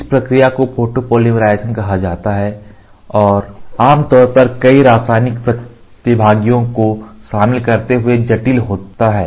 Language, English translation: Hindi, This reaction is called as photopolymerization and is typically complex involving many chemical participants